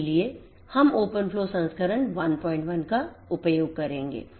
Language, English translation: Hindi, So, we will be using open flow version 1